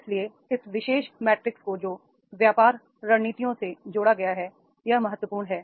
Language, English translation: Hindi, So therefore these particular matrix which has been linked to the business strategies, this is important